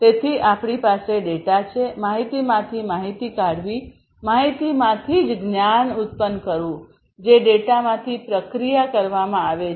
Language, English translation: Gujarati, So, we have the data, then extracting information out of the data, generating knowledge out of the information, that is that is processed from the data